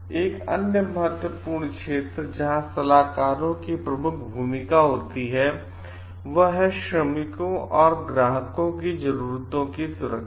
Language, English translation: Hindi, Another important area where consultants have a major role to play is for the safety of the workers and client needs